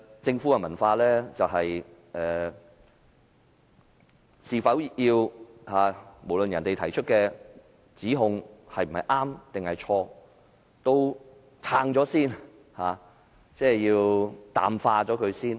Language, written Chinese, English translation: Cantonese, 政府的文化就是無論別人提出的指控是對是錯，都要先行辯護、淡化。, The culture of the Government is to defend and water down regardless that the accusation is substantiated or not